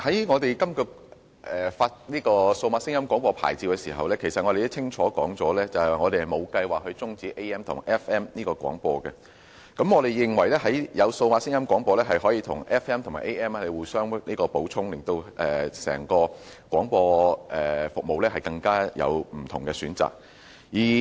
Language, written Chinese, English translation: Cantonese, 我們在發出數碼廣播牌照時，其實已經清楚指出，我們沒有計劃終止 AM/FM 模擬聲音廣播服務，我們認為數碼廣播可以與 AM 及 FM 互相補充，提供不同的廣播服務選擇。, When the DAB licences were issued the Government had made it clear that we had no plan for switching off analogue AMFM sound broadcasting services . We consider that DAB and analogue AMFM sound broadcasting can complement each other and offer different choices of broadcasting services